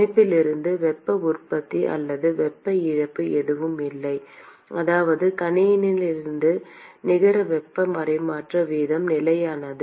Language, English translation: Tamil, There is no heat generation or heat loss from the system which means that the net heat transfer rate from the system is constant